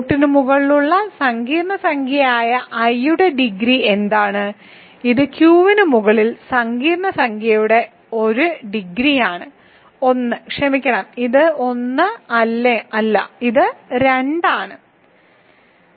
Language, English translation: Malayalam, What is the degree of i which is a complex number over R this is 1 degree of the complex number i over Q is also 1 sorry this is not 1 this is 2